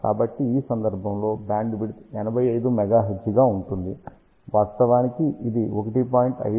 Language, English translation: Telugu, So, bandwidth in this case is about 85 megahertz which is 1